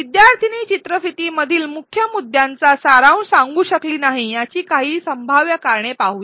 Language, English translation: Marathi, Let us look at some possible reasons, why the student was not able to summarize the key points in the video